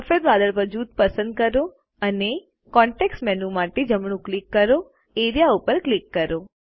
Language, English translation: Gujarati, Select the white cloud group and right click for the context menu and click Area